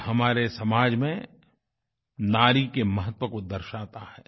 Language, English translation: Hindi, This underscores the importance that has been given to women in our society